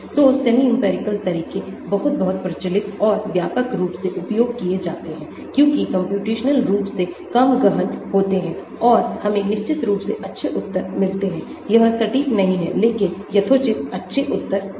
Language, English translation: Hindi, so semi empirical methods are very, very popular and widely used because computationally less intensive and we get reasonably good answers of course it is not exact but reasonably good answers